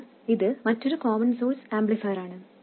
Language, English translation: Malayalam, So how did we do that with the common source amplifier